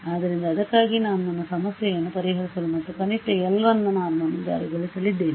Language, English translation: Kannada, So, that is why I am going to solve my problem and enforce minimum l 1 norm